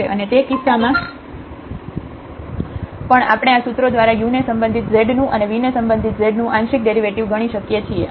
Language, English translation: Gujarati, And in that case also we can compute the partial derivatives now of z with respect to u and the partial derivative of z with respect to v by these formulas